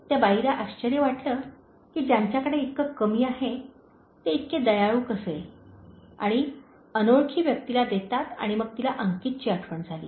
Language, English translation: Marathi, The lady wondered how someone, who has so little, can be so kind and giving to a stranger and then she remembered Ankit